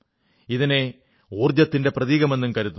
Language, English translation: Malayalam, They are considered a symbol of energy